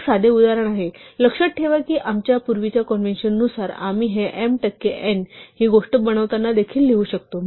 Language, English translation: Marathi, This is a simple example, remember that by our earlier convention we could also write this as while m percent n make this thing